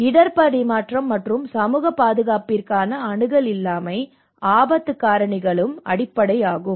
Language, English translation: Tamil, Also lack of access to risk transfer and social protection, so these are the kind of underlying risk drivers